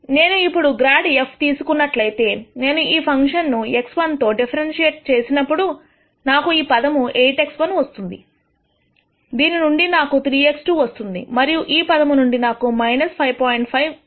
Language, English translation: Telugu, Now, if I take grad of f, so when I differentiate this function with respect to x 1, I will get from this term 8 x 1, from this term I will get 3 x 2, and from this term I will get minus 5